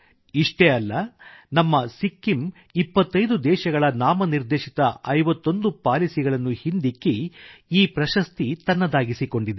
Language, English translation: Kannada, Not only this, our Sikkim outperformed 51 nominated policies of 25 countries to win this award